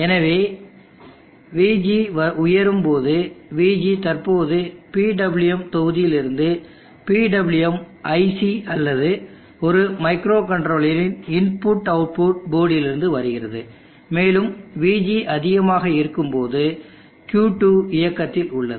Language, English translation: Tamil, So when VG goes high, VG is currently from the PWM block of PWM IC or IO port of a micro controller and when VG goes high, Q2 is on